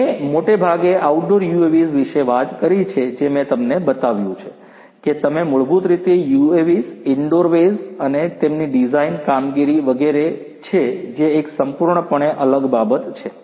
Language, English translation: Gujarati, I have mostly talked about outdoor UAVs the UAVs that I have shown you are basically outdoor UAVs, indoor UAVs and their design operations etc